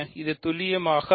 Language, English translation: Tamil, This is precisely I